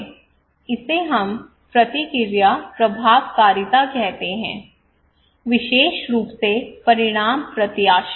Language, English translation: Hindi, this is we called response efficacy, particularly outcome expectancy